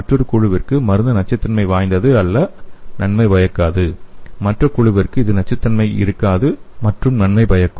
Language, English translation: Tamil, And to the other group the drug is not toxic and not beneficial and to other group it will be not toxic and beneficial